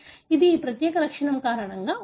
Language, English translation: Telugu, It is because of this particular property